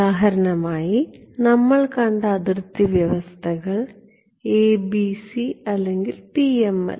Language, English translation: Malayalam, Boundary conditions we have seen for example, ABC and all or PML